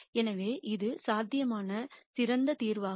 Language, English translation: Tamil, So, this is the best solution that is possible